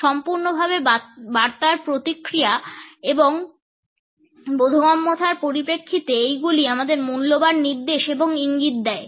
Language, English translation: Bengali, In terms of feedback and in terms of understanding the message completely, these used to provide valuable indications and cues